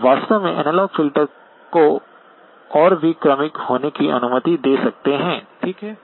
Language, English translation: Hindi, You can actually allow the analog filter to be even more gradual, okay